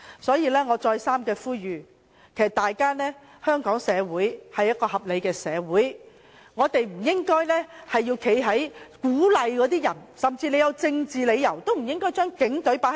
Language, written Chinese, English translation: Cantonese, 在此，我再三呼籲，香港社會是一個合理的社會，我們不應鼓勵市民將警隊放在對立面，即使有政治理由，也不應這樣做。, In this connection let me make this appeal again . The Hong Kong community is a reasonable community and we should not encourage the public to confront the Police and this should not be done even if it is out of political reasons